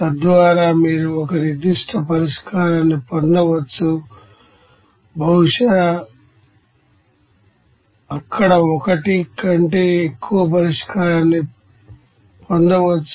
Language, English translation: Telugu, So that you can get a particular solution maybe unique solution maybe more than one solution also there